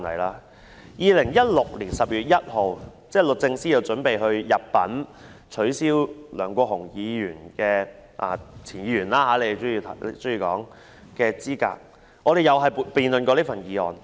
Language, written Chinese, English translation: Cantonese, 在2016年12月1日，律政司準備入稟取消梁國雄——他們喜歡稱他為"前"議員——的議員資格，立法會亦曾辯論有關議案。, On 1 December 2016 DoJ initiated a lawsuit to disqualify a Member Mr LEUNG Kwok - hung―they like to call him former Member―and the Legislative Council also debated the relevant motion